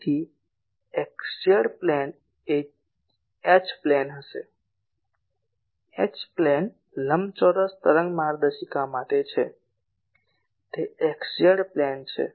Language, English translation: Gujarati, So, x z plane will be the H plane, H plane is for rectangular wave guide it is x z plane